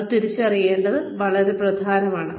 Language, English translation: Malayalam, It is very important to identify this